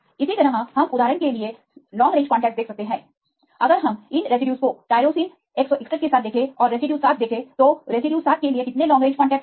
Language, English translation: Hindi, Likewise we can see sort long range contacts for example, if we see these residues a 6 right with the tyrosine 161 and see the residue 7, how many long range contacts for residue 7